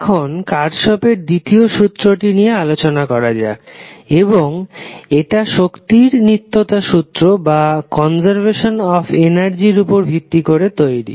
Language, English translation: Bengali, Now, let us talk about the second law of Kirchhoff and this second law is based on principle of conservation of energy